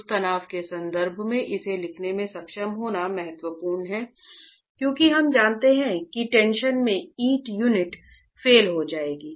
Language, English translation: Hindi, It's important to be able to write it in terms of that stress because we know that the brick unit will fail in tension